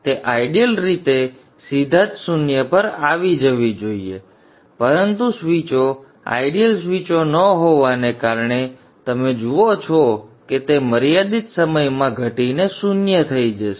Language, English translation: Gujarati, It should in effect ideally drop to zero directly but because the switches are not ideal switches you will see that it will drop to zero in finite time